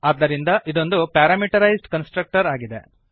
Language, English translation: Kannada, Hence this one is the prameterized constructor